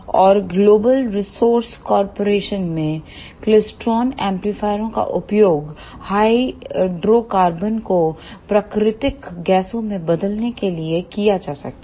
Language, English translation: Hindi, And in Global Resource Corporation, klystron amplifiers are used to convert hydrocarbons into natural gases